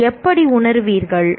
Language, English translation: Tamil, How would you feel if